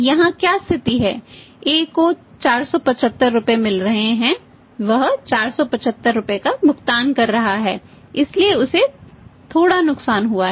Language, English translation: Hindi, In this case what would have been the situation A is getting 475 rupees he is paying 475 rupees so to say little loss to him